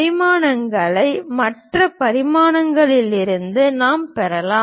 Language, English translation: Tamil, The remaining dimensions we can get it from the other views